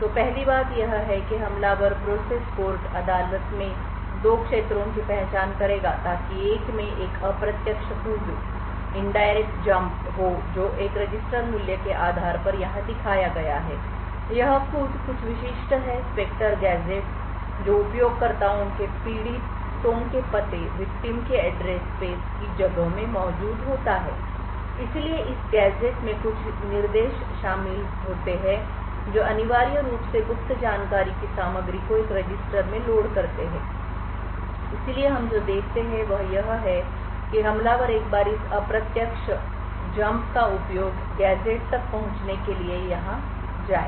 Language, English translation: Hindi, So the first thing that has done is that the attacker would identify 2 regions in the court so 1 it has an indirect jumped based on a register value as shown over here and this jump is to some specific Spectre gadget which is present in the users victims user address space so this gadget did comprises of a few instructions that essentially would load into a register the contents of the secret information so what we see is that the attacker once you utilized this indirect Jump to this gadget and this gadget has instructions such as exit or and something like that followed by a load instruction which includes secret data into a register